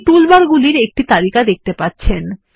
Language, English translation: Bengali, You will see the list of toolbars